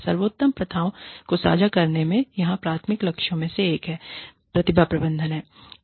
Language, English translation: Hindi, The one of the primary goals here, in sharing best practices, is talent management